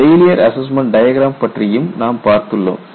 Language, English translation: Tamil, We have also looked at failure assessment diagram